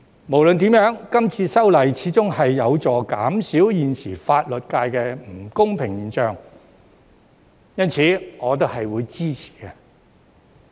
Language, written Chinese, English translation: Cantonese, 無論如何，今次修例始終有助減少現時法律界的不公平現象，因此我也是會支持的。, In any case I support this legislative amendment exercise as it can help ameliorate the unfairness exists in the legal sector after all